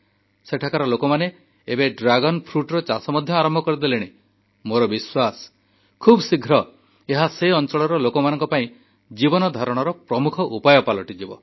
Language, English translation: Odia, The locals have now started the cultivation of Dragon fruit and I am sure that it will soon become a major source of livelihood for the people there